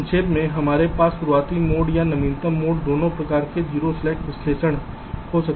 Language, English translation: Hindi, ok, so to summarize: ah, we can have early mode or latest mode, both kind of zero slack analysis